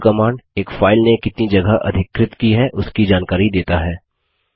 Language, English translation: Hindi, And the du command gives a report on how much space a file has occupied